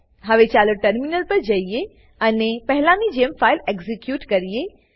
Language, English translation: Gujarati, Now let us switch to the terminal and execute the file like before